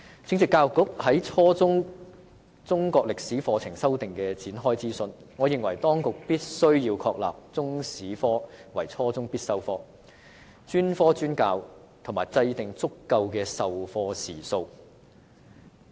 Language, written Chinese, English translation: Cantonese, 正值教育局就初中中國歷史科課程修訂展開諮詢，我認為當局必須確立中史科為初中必修科、專科專教，以及制訂足夠的授課時數。, Noting that the Education Bureau has launched its consultation on revising the junior secondary Chinese History curriculum I consider that the authorities must establish the status of Chinese History as a compulsory subject at junior secondary level develop specialized teaching and designate sufficient teaching hours for the curriculum